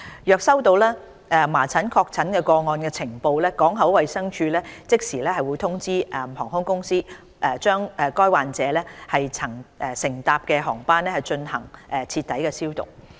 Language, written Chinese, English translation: Cantonese, 若接獲麻疹確診個案的呈報，港口衞生處會即時通知航空公司，把該患者曾乘搭的航班進行徹底消毒。, Upon receiving notification of a confirmed measles case the Port Health Office will notify the airline concerned so that thorough disinfection will be carried out on the aircraft on which the patient travelled